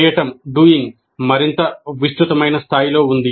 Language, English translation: Telugu, The doing is on a much more extensive scale